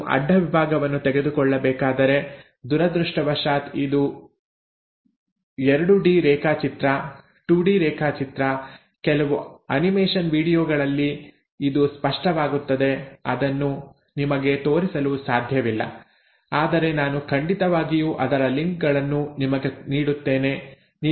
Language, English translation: Kannada, Now if I were to take a cross section, this is I am, this is a 2 D diagram unfortunately, it will become clearer in some animation videos which I will show you; I cannot show you but I will definitely give you the links for those